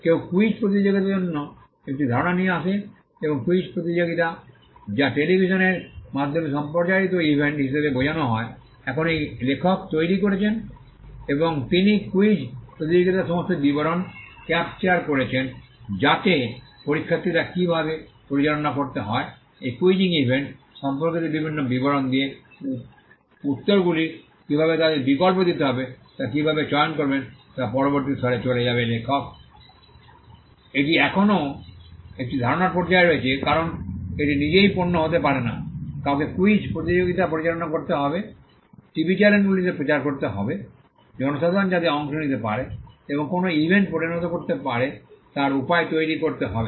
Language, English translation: Bengali, Someone comes with an idea for a quiz competition and the quiz competition which is meant to be a broadcasted event over the television is now been devised by this author and he captures all the details of the quiz competition how it has to be conducted how the candidates will move to the next level how to choose how to give them options to come up with the answers various details with regard to this quizzing event is developed by the author